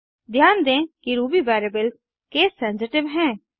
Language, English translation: Hindi, Please note that Ruby variables are case sensitive